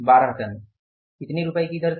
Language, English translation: Hindi, 12 tons at the rate of rupees